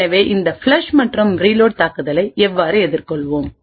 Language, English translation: Tamil, So how we would actually counter this flush and reload attack